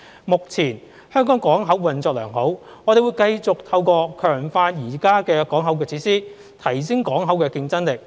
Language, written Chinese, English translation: Cantonese, 目前香港港口運作良好，我們會繼續透過強化現有港口設施，提升港口競爭力。, The ports of Hong Kong are currently operating well . We will continue to enhance its competitiveness through strengthening existing port facilities